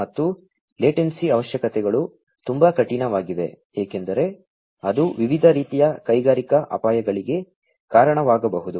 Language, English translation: Kannada, And, also the latency requirements are very stringent because that can also lead to different types of industrial hazards